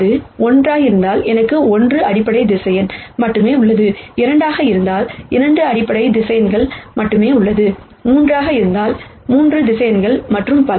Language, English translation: Tamil, If it is 1 then I have only 1 basis vector, if there are 2 there are 2 basis vectors 3 there are 3 basis vectors and so on